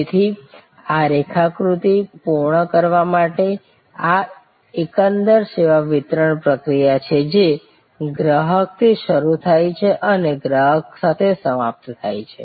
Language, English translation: Gujarati, So, to complete this diagram therefore, this is the overall service delivery process which starts with customer and ends with the customer